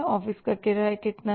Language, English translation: Hindi, This is office rent